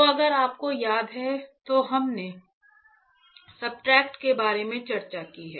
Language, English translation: Hindi, So, I if you remember, we have discussed about substrate